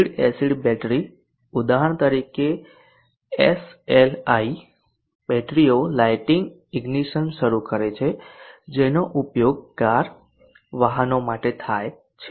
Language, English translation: Gujarati, The lead acid battery for example the SLI batteries start lighting ignition which are used for cars vehicles